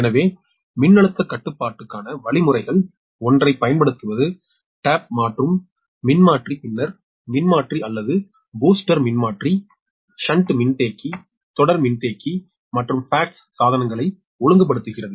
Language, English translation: Tamil, so the methods for voltage control are the use of one is the tap changing transformer, then regulating transformer or booster transformer, ah, shunt capacitor, ah, series capacitor and the facts devices, right